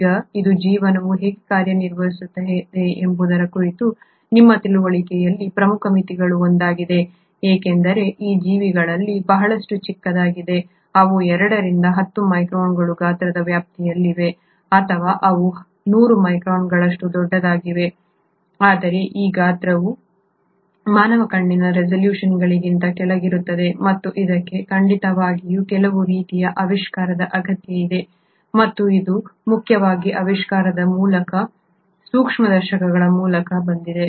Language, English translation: Kannada, Now this has been one of the major limitations in our understanding of how life works because a lot of these organisms are much smaller; they are about the size range of anywhere between 2 to 10 microns or they can be as big as 100 microns but yet this size is way below the resolution of human eye and this surely required some sort of invention and that came in mainly through the invention of microscopes